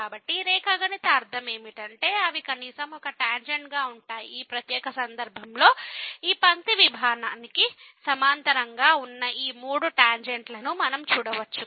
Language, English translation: Telugu, So, the geometrical meaning is that they will be at least one tangent; in this particular case we can see these three tangents which are parallel to this line segment